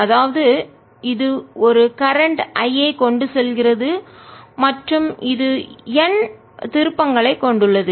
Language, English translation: Tamil, the solenoid carries a current i, so it carries a current i and has n turns